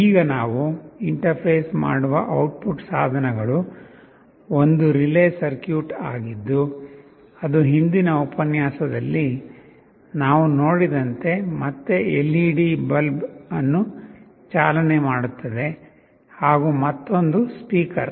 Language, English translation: Kannada, Now, the output devices that we shall be interfacing are one relay circuit that will again be driving a LED bulb as we have seen in the earlier lecture, and a speaker